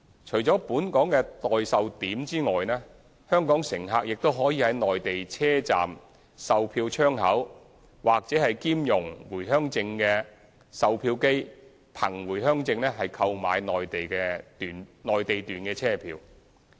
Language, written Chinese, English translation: Cantonese, 除了本港的代售點外，香港乘客亦可在內地車站售票窗口或兼容回鄉證的售票機憑回鄉證購買內地段車票。, Apart from using such local agents Hong Kong passengers may with their Home Return Permits purchase Mainland journey tickets at ticketing counters in Mainland stations or at ticket vending machines compatible with the Permit at these stations